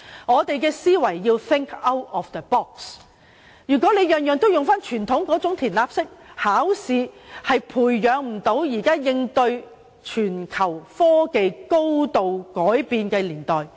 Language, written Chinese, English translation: Cantonese, 我們要 think out of the box ，因為傳統那種"填鴨式"的考試制度，並不能培養出足以應對全球科技高度發展的人才。, We have to think out of the box because under the conventional spoon - feeding examination system we will not be able to nurture talents who can meet the global challenge of advanced technological development